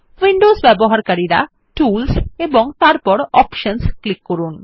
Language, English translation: Bengali, Windows users can click on Tools and then on Options